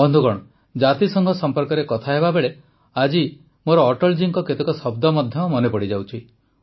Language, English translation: Odia, today while talking about the United Nations I'm also remembering the words of Atal ji